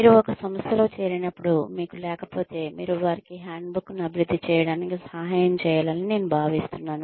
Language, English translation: Telugu, If you do not have one, I suggest that, when you join an organization, you should help them, develop a handbook